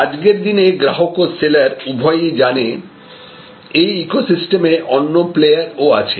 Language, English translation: Bengali, Today, the customer and the seller both know that there are other players in the ecosystem